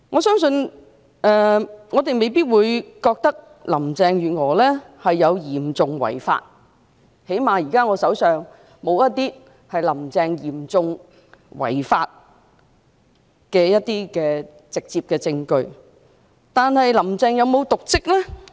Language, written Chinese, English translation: Cantonese, 儘管我們未必認為林鄭月娥嚴重違法，至少現時我手上沒有"林鄭"嚴重違法的直接證據，但"林鄭"有否瀆職呢？, Whilst we may not consider that Carrie LAM has committed serious breach of law at least I do not have any direct evidence charging Carrie LAM with serious breach of law at this point of time has Carrie LAM committed dereliction of duty?